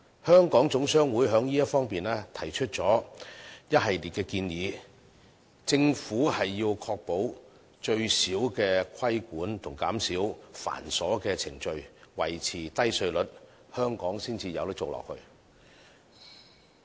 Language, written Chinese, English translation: Cantonese, 香港總商會在這方面提出了一系列建議，認為政府要確保規管減至最少，減少繁瑣的程序，維持低稅率，這樣香港才能繼續發展下去。, In this regard the Hong Kong General Chamber of Commerce HKGCC has put forward a number of recommendations . In its opinion the Government has to keep the regulation and cumbersome procedures to the minimum and maintain a low tax regime so that Hong Kong can continue to develop further